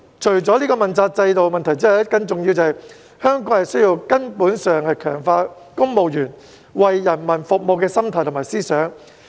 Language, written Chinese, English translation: Cantonese, 除了問責制的問題之外，更重要的是，香港需要從根本強化公務員為人民服務的心態和思想。, Apart from the problems of the accountability system a more important point is that the mentality and philosophy of serving the public among civil servants must be fundamentally strengthened in Hong Kong